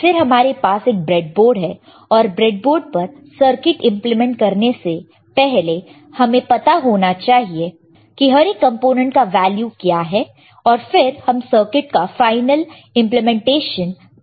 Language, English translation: Hindi, And then we have a breadboard, and before we implement a circuit on the breadboard right, before the final implementation of the circuit on the PCB we have to use the breadboard, and before implementing on the breadboard, we should know what is the value of each component